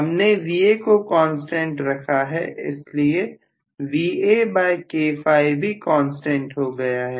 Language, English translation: Hindi, Now if I am keeping Va as a constant, I am keeping flux as a constant